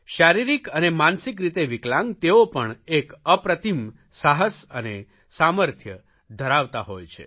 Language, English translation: Gujarati, People with physical and mental disabilities are capable of unparalleled courage and capability